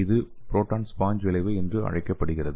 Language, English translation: Tamil, So this is called as proton sponge effect